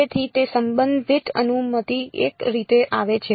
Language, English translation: Gujarati, So, it becomes the relative permittivity comes in a way